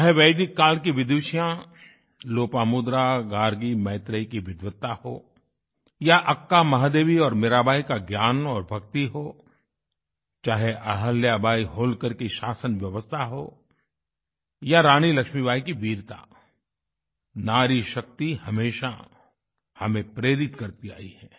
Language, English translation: Hindi, Lopamudra, Gargi, Maitreyee; be it the learning & devotion of Akka Mahadevi or Meerabai, be it the governance of Ahilyabai Holkar or the valour of Rani Lakshmibai, woman power has always inspired us